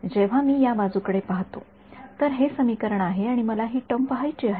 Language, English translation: Marathi, When I look at this side ok so, this is the equation and I want to look at this term ok